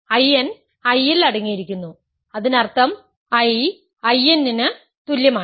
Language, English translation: Malayalam, So, I is contained I n, I n is contained in I; that means, I is equal to I n